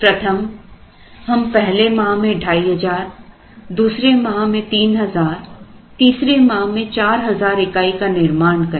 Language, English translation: Hindi, One is we can produce exactly 2,500 in this month produce 3,000 in this month produce 4,000 in this month